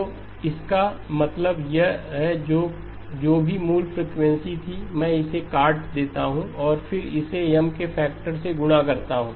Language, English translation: Hindi, So which means that whatever was the original frequency, I strike it off and then multiply it by the factor M